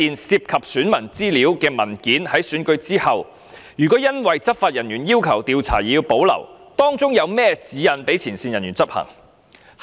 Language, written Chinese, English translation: Cantonese, 涉及選民資料的文件，如果在選舉後因執法人員要求調查而保留，有何指引讓前線人員執行？, If law enforcement officials request that certain documents containing electors data be retained for examination what guidelines are in place for implementation by frontline staff?